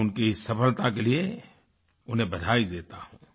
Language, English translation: Hindi, I congratulate him on his success